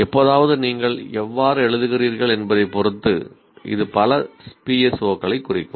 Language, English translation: Tamil, Occasionally, depending on how you write, it may address multiple PSOs